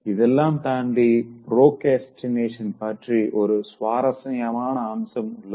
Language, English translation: Tamil, Apart from all these things, I also added a very interesting aspect of procrastination